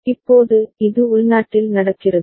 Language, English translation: Tamil, Now, this is happening internally